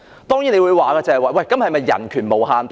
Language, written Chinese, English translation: Cantonese, 當然，有人會問道，人權是否無限大呢？, Some may well ask Should the exercise of human rights be free from any restriction?